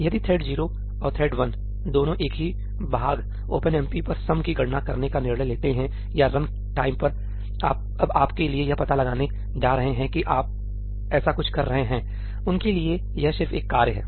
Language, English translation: Hindi, If thread 0 and thread 1, both of them decide to compute the sum over the same part OpenMP or the run time is now going to figure out for you that you are doing something like that; for them it is just a task